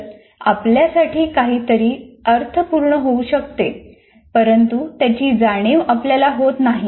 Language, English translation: Marathi, So, something can make sense to you, but it may not mean anything to you